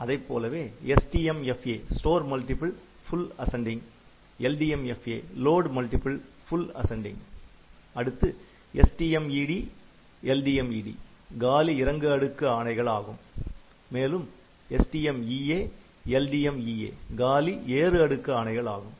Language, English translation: Tamil, So, store multiple full ascending LDMFA load multiple full ascending, then STMED and LDMED empty descending stack and these STMEA and LDMEA for empty ascending stack